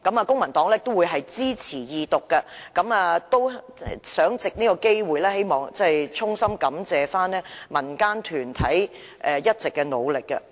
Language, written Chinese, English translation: Cantonese, 公民黨會支持《條例草案》二讀，並藉此機會衷心感謝民間團體一直以來的努力。, The Civic Party will support the Second Reading of the Bill and takes this opportunity to express its heartfelt gratitude to community groups for their continued efforts